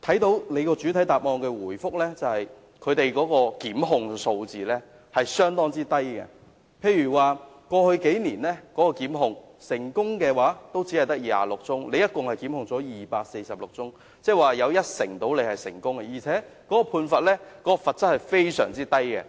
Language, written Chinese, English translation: Cantonese, 局長在主體答覆列出的檢控數字相當低，過去數年檢控個案有246宗，但成功檢控的只有26宗，即大約一成，而且罰則非常低。, The number of prosecuted cases cited by the Secretary in the main reply is rather small with only 26 successfully prosecuted cases among 246 cases about 10 % in the past few years and the penalty level is very low